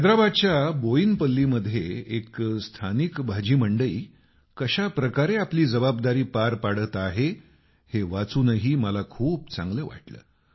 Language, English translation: Marathi, I felt very happy on reading about how a local vegetable market in Boinpalli of Hyderabad is fulfilling its responsibility